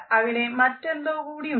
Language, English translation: Malayalam, There is something more